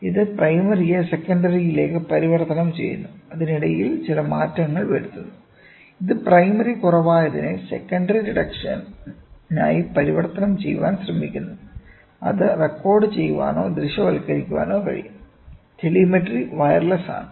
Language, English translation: Malayalam, This is converting the primary to secondary, in between it does some changes such that it tries to convert whatever is a primary reduction to the secondary reduction such that it can be recorded or visualized, ok, telemetry is wireless